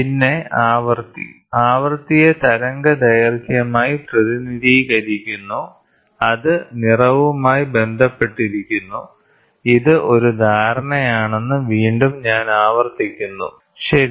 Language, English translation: Malayalam, Then frequency: frequency is otherwise represented as wavelength which relates to colour and I repeat it is again a perception, ok